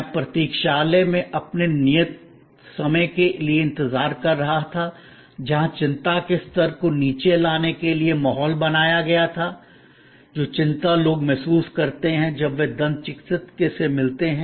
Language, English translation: Hindi, I waited for my appointed time in the waiting room, where the ambiance was created to, sort of bring down the anxiety level, which people feel when they visit the dentist